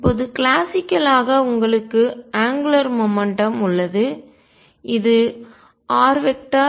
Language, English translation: Tamil, Now classically you have angular momentum which is r cross p